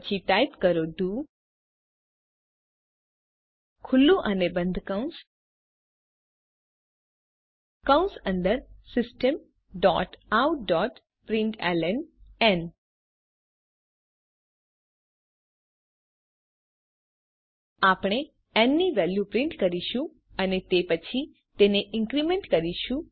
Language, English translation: Gujarati, then type do open and close braces Inside the bracesSystem.out.println We shall print the value of n and then increment it